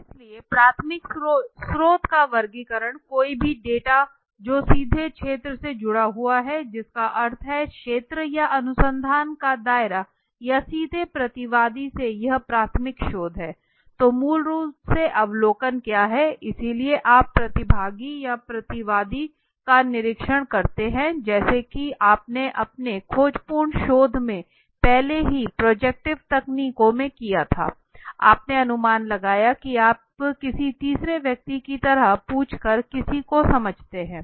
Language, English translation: Hindi, So the classification of primary source right so any data that is on you can understand another way also any data which is directly collected from field that means the area or the scope of research right or from the directly from the respondent directly it is the primary research, so what are these basically a observation so you observe the participant or respondent as you did in your exploratory research earlier projective techniques so you projected you understand somebody by asking like a third person right